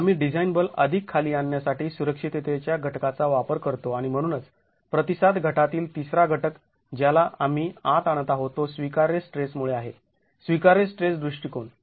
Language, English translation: Marathi, We use a factor of safety to further bring down the design force and therefore the third component of response reduction that we are bringing in is due to the allowable stress, allowable stress approach and that is your RY that is sitting here